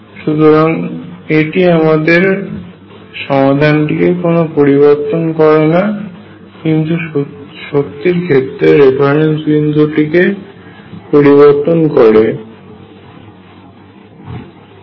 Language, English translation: Bengali, So, it does not really affect the solution all is does is changes a reference point for the energy